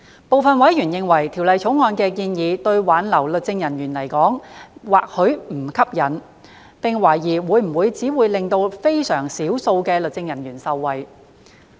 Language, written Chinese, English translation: Cantonese, 部分委員認為《條例草案》的建議對挽留律政人員而言或許並不吸引，並懷疑會否只能令非常少數的律政人員受惠。, Some members were of the view that the proposals in the Bill might be unattractive for the purpose of retaining legal officers and questioned whether the Bill would only benefit a very small number of legal officers